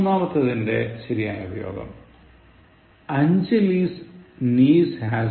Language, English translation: Malayalam, The third one, correct form: Anjali’s niece has grown